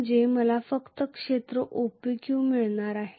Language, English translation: Marathi, Which means I am going to get only area OPQ